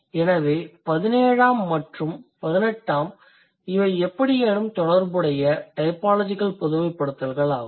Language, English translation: Tamil, So, 17th and 18th, these are somehow sort of related typological generalizations